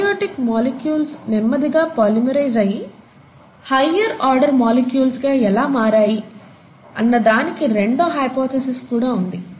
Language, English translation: Telugu, So how is it that these abiotic molecules eventually went on to polymerize and form higher order molecules